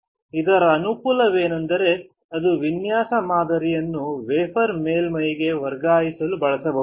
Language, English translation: Kannada, The advantage of this is that it can be used to transfer the design pattern to the wafer surface